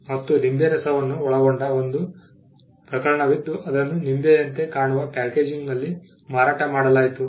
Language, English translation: Kannada, There was a case involving a lemon juice which was sold in a packaging that look like a lemon